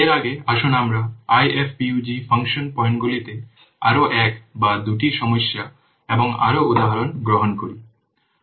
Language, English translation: Bengali, Before going to that, let's take one or two more problems, more examples on this IFPUG function points